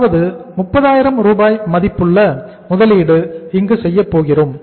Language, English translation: Tamil, That is 30,000 rupees worth of investment we are going to make here